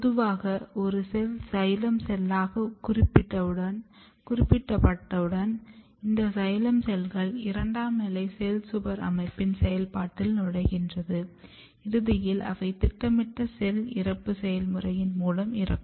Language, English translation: Tamil, So, if you look normally what happens that if your once your cell is specified as a xylem cells, this xylem cells enters in the process of secondary wall patterning and there are lot of changes occurs and eventually the xylem cells they die through the process of programmed cell death